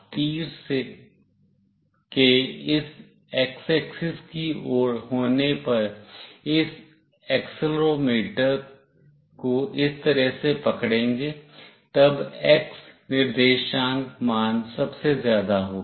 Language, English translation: Hindi, Whenever you hold this accelerometer with the arrow towards this x axis in this fashion, then the x coordinate value will be the highest